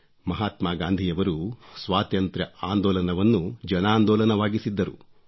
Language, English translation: Kannada, Mahatma Gandhi had transformed the freedom movement into a mass movement